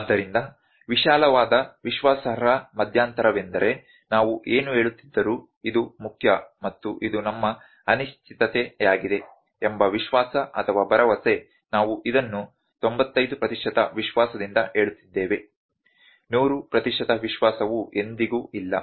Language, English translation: Kannada, So, broadly confidence interval is the confidence or the assurance that whatever we are telling, that this is the main and this is our uncertainty, we are telling this with 95 percent confidence 100 percent confidence is never there